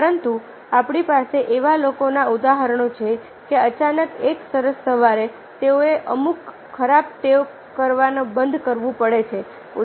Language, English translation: Gujarati, but we do have the examples of people that all of a, suddenly, one fine morning, they have to stop doing certain things